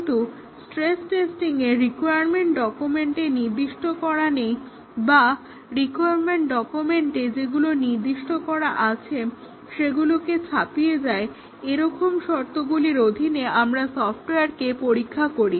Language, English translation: Bengali, But in stress testing, we test the software with conditions that are not specified in the requirements document or those which beyond those which have been specified in the requirement document, we test the software that is the stress testing